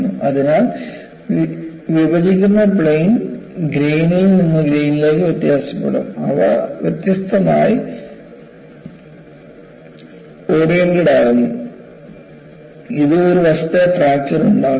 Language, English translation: Malayalam, So, the splitting planes also will differ from grain to grain, and they are differently oriented which causes faceted fracture